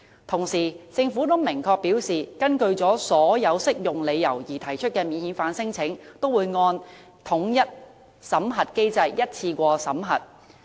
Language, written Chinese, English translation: Cantonese, 同時，政府已明確表示，根據所有適用理由而提出的免遣返聲請也會按統一審核機制，一次過審核。, Meanwhile the Government has clearly stated that non - refoulement claims made on all applicable grounds will be processed in one go under the unified screening mechanism